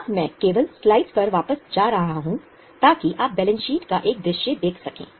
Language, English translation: Hindi, Now, I am just going back to the slide so that you can have a view of the balance sheet